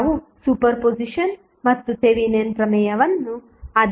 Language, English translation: Kannada, We studied superposition as well as Thevenin's theorem